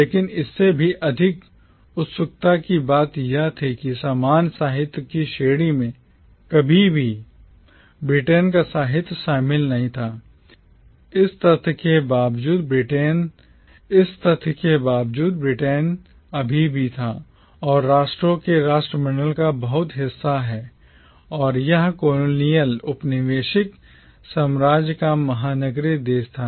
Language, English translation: Hindi, But what was even more curious was that the category of commonwealth literature never included the literature of Britain, in spite of the fact that Britain was and still is very much a part of the commonwealth of nations and it was the metropolitan country of the colonial empire